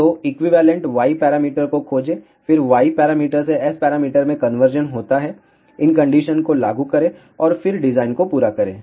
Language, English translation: Hindi, So, find the equivalent Y parameter then from Y parameter converted to S parameters, apply these conditions and then complete the design